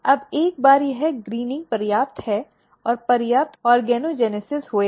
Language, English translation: Hindi, Now, once this greening is enough and there are enough organogenesis occurred